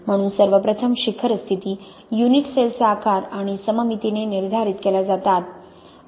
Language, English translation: Marathi, So the peak positions first of all is determined by the size and symmetry of the unit cell